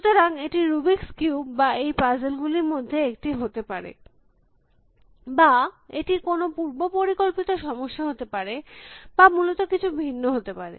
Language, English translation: Bengali, So, it could be the rubrics cube or it could be one of these puzzles or it could be a scheduling problem or it could be something different essentially